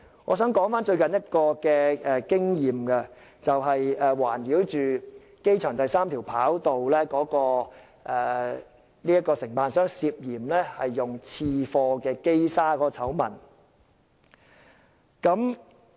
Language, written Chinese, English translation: Cantonese, 我想談談最近一次經驗，那就是圍繞機場第三條跑道的承辦商涉嫌使用次貨機砂的醜聞。, I wish to talk about a recent scandal about the alleged use of sub - standard mechanical sand by the building contractor of the third - runway system of the airport